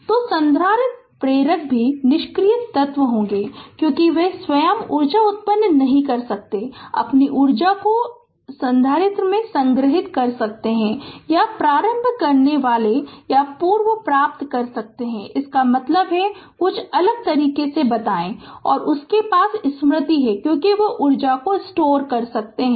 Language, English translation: Hindi, So, capacitor inductors also passive elements because, they of their own they cannot generate energy you can store their energy in capacitor, or inductor you can retrieve also; that means, other way sometimes we tell that they have memory like because they can store energy right